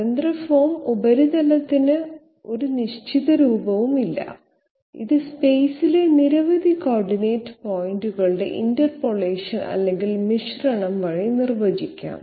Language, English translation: Malayalam, Free form surface does not possess any definite form and it may be defined by the interpolation or blending of several coordinate points in space